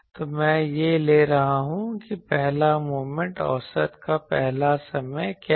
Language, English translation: Hindi, So, I am taking that what is the first moment means the first time of average